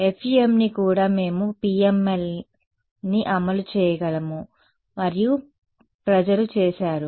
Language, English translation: Telugu, Even FEM we can implement PML and people have done so ok